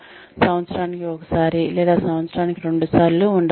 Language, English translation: Telugu, Maybe once a year or maybe twice a year